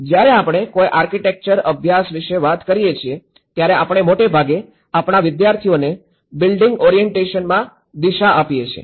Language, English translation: Gujarati, When we talk about an architecture study, we mostly orient our students into the building orientation